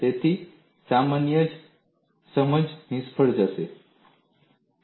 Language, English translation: Gujarati, So, common sense fails